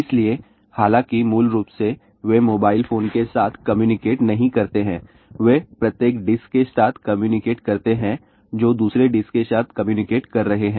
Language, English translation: Hindi, So, though basically they do not communicate with a mobile phone , they communicate with each dish is communicating with another dish